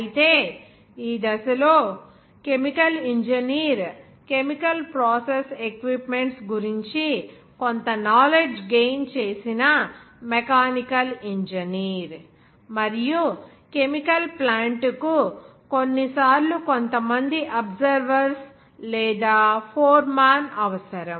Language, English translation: Telugu, However, the chemical engineer at this stage that was both a mechanical engineer who had gains some knowledge of chemical process equipment and also the chemical plant sometimes required some the observer or foreman